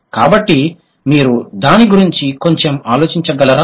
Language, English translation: Telugu, So, then can you, could you think about it a bit